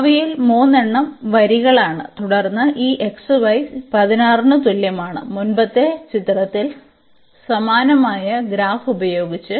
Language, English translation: Malayalam, So, among them 3 are the lines and then this xy is equal to 16 with similar kind of a graph we have in the earlier figure